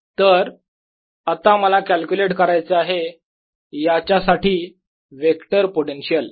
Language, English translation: Marathi, in any case, i want to now calculate the vector potential for this